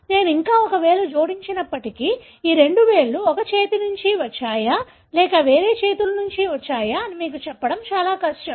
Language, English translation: Telugu, Even if I add one more finger it would be very difficult for you to tell whether these two fingers have come from the same hand or different hands